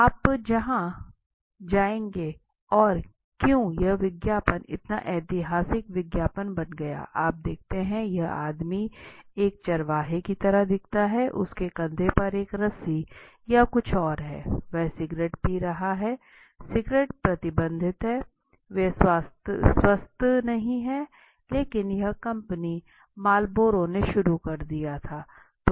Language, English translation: Hindi, The come to where the flavor is and why this ad became such a historical ad if you remember, if you see this man looks like a cowboy, he is got a kind of a rope or something on his shoulder now he is consuming a cigarette although the cigarette are banned and I am not encouraging cigarettes, they are not healthy but this is how the company Marlboro started, right